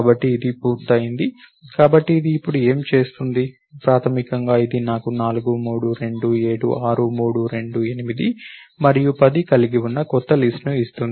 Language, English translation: Telugu, So, this completes, so what is it do now, basically this will give me a new list, such that I have 4, 3, 2, 7, 6, 3, 2, 8 and 10